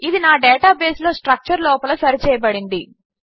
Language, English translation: Telugu, Its adjusted into that structure in my database